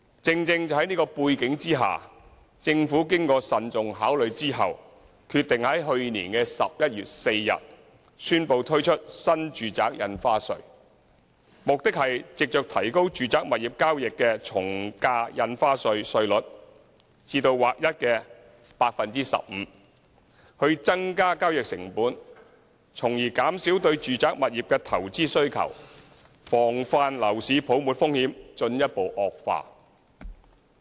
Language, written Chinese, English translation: Cantonese, 正正是在這樣的背景下，政府經慎重考慮，決定在去年11月4日宣布推出新住宅印花稅，目的是藉着提高住宅物業交易的從價印花稅稅率至劃一的 15% 以增加交易成本，從而減少對住宅物業的投資需求，防範樓市泡沫風險進一步惡化。, Against this background and after careful deliberation the Government decided to announce on 4 November last year to introduce NRSD . The purpose of this measure is to raise the ad valorem stamp duty AVD chargeable on residential property transactions to a new flat rate of 15 % . The new measure increases the transaction costs and thereby reduces investment demand for residential properties and guards against further increase in the risks of a housing bubble